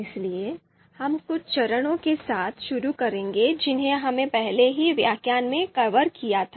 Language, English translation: Hindi, So we will restart some of the steps that we have done in previous lecture